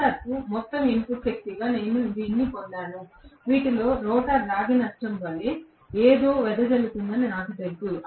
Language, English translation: Telugu, I have got this as the total input power to the rotor out of which I know for sure that something has been dissipated as the rotor copper loss